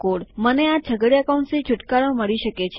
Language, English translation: Gujarati, I can get rid of these curly brackets